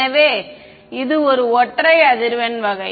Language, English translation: Tamil, So, single frequency kind of a thing